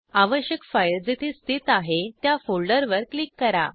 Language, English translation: Marathi, Click on the folder where the required file is located